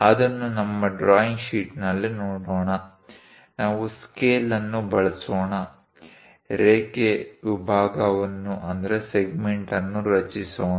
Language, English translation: Kannada, Let us look at that on our drawing sheet; let us use a scale, construct a line segment